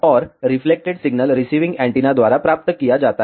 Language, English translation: Hindi, And the refleccted signal is received by the receiving antenna